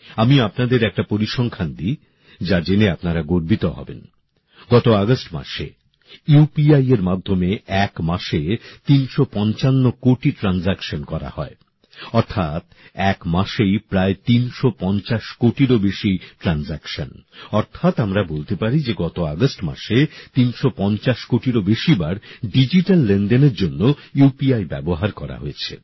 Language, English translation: Bengali, I will tell you a figure which will make you proud; during last August, 355 crore UPI transactions took place in one month, that is more than nearly 350 crore transactions, that is, we can say that during the month of August UPI was used for digital transactions more than 350 crore times